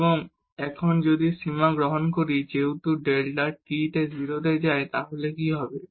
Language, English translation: Bengali, And now if we take the limit as delta t goes to 0 then what will happen